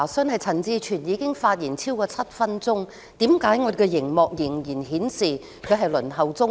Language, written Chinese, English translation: Cantonese, 我有一項查詢，就是陳志全已經發言超過7分鐘，為何熒幕仍然顯示他在輪候中？, I have a query . Mr CHAN Chi - chuen has spoken for more than seven minutes why is he still shown as a Member waiting to speak on the screen?